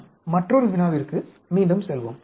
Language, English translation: Tamil, Let us go back to another problem